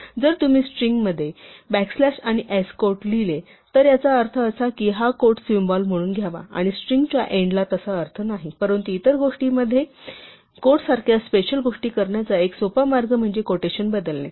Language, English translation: Marathi, If you write a back slash and s quote in the middle of the string, it means that this quote is to be taken as a symbol and not at the end of the string, but a much simpler way to include special things like quotes inside other quotes is to change the quotation